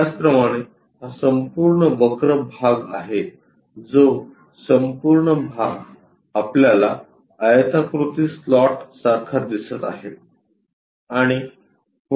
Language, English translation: Marathi, Similarly this is a entire one the curve this entire stuff comes out something like a slot a rectangular block we will see